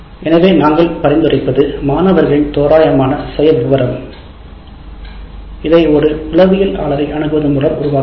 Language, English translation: Tamil, So what we suggest is an approximate profile of the students, this can be created after consulting a psychologist